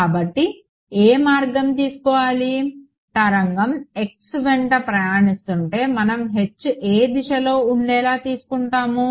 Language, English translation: Telugu, So, which way if the wave is travelling along x, we will take H to be along which direction